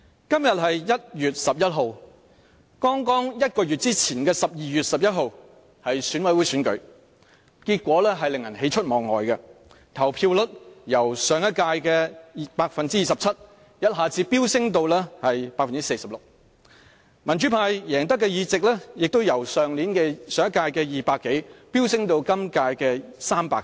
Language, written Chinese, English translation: Cantonese, 今天是1月11日，在1個月前的12月11日是進行選舉委員會選舉的日子，選舉結果令人喜出望外，投票率由上屆的 27% 一下子飆升至 46%， 民主派贏得的議席亦由上屆的200多席飆升至今屆的300多席。, Today is 11 January 2017 and the election of Election Committee members took place exactly a month ago on 11 December 2016 . We were overjoyed at the results of the election of which the turnout rate has seen an abrupt surge from 27 % of the previous election to 46 % of the current one . Besides the number of seats won by the pro - democracy camp surged from 200 or so of the previous election to over 300 of the current one